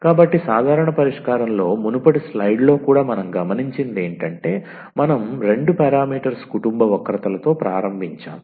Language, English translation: Telugu, So, in the general solution also in the previous slide what we have observed we started with a two parameter family of curves